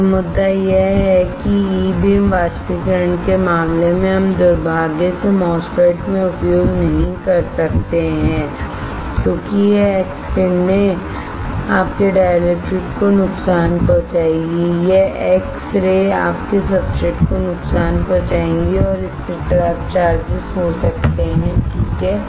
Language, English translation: Hindi, So, the point is that in case of E beam evaporators we cannot use unfortunately in MOSFET because this x rays will damage your dielectrics, this x ray will damage your substrate and this may lead to the trapped charges alright